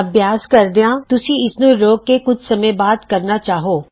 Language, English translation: Punjabi, While practicing, you may want to pause and restart later